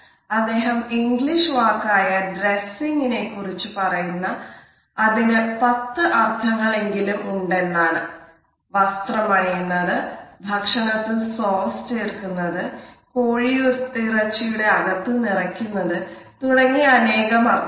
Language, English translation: Malayalam, He has referred to an English word dressing which has at least ten different meanings including the act of putting on clothing, a sauce for food, stuffing for a fowl etcetera